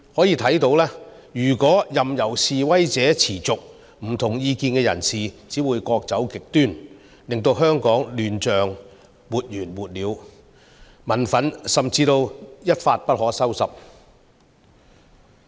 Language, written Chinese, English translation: Cantonese, 由此可見，如果任由示威持續，不同意見的人士只會各走極端，令香港亂象沒完沒了，民憤甚至會一發不可收拾。, It is evident that if the protests are allowed to continue people of dissenting views will become more extreme Hong Kong will become more chaotic and the anger of the people will become incontrollable